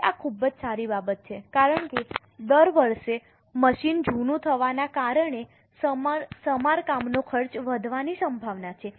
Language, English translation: Gujarati, Now, this is a very good thing because every year the cost of repair is likely to increase because the machine is becoming older